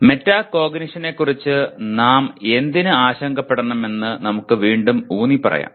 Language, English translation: Malayalam, Let us reemphasize why should we be concerned about metacognition